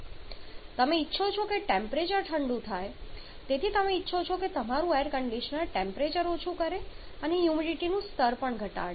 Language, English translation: Gujarati, You may want both you may want the temperature to cool down for you want your air conditioner to lower the temperature and also to reduce the moisture level